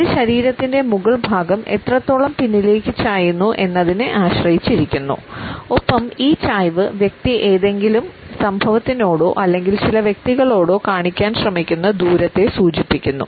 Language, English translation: Malayalam, It depends on how far the upper part of the body is leaned back and this leaning back suggests the distance the person is trying to keep to some event or to some person